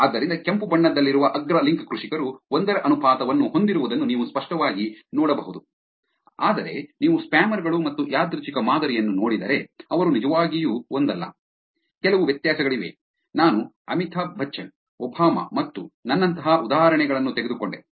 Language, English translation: Kannada, So, you can clearly see that the top link farmers which is the red color has the ratio of one, whereas, if you look at spammers and the random sample they are not really one, there is some difference with the examples that I took like Amitabh Bachchan, Obama and myself